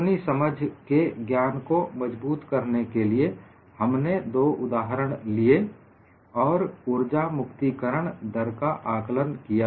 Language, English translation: Hindi, To form up our knowledge of understanding, we have taken up two example problems and evaluated the energy release rate of this